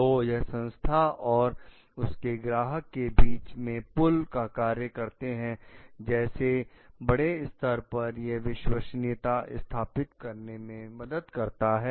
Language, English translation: Hindi, So, this is going to establish a bridge between the organization and the customer such a large and also it helps to develop trustworthiness